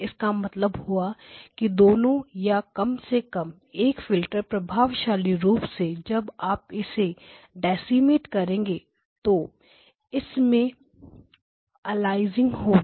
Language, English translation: Hindi, Which means that each of them effectively at least one of them when you decimate is going to cause aliasing right